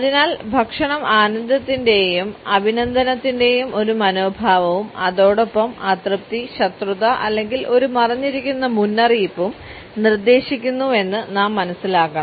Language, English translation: Malayalam, Therefore, we have to understand that food suggest an attitude of pleasure and appreciation, as well as displeasure, animosity or even a hidden warning